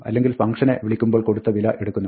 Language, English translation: Malayalam, Otherwise, it will take the value provided by the function call